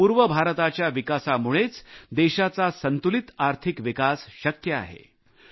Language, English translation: Marathi, It is only the development of the eastern region that can lead to a balanced economic development of the country